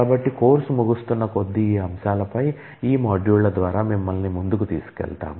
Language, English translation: Telugu, So, as the course unfolds, you will be able to we will take you through these modules on these topics